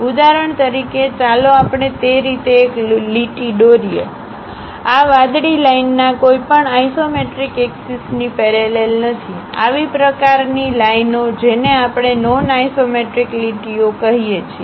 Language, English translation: Gujarati, For example, let us draw a line in that way; this blue line is not parallel to any of these isometric axis, such kind of lines what we call non isometric lines